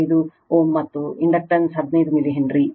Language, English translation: Kannada, 5 ohm, and inductance is 15 milli Henry